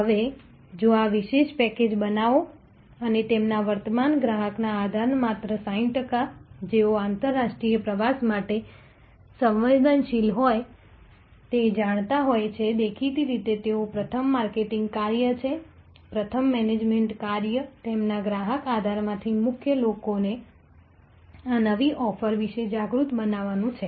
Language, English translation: Gujarati, Now, if the create this special package and only 60 percent of their current customer base, who are prone to international travel are aware then; obviously, they are first marketing task first management task is to make more people from their customer base aware about aware of this new offering